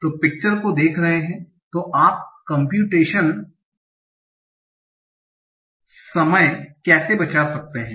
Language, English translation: Hindi, So looking at the picture, so how you can save the computation time